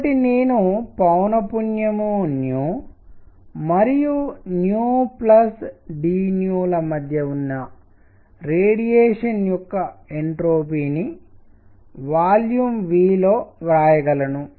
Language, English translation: Telugu, So, I can write this entropy of radiation between frequency nu and nu plus d nu, right, in volume V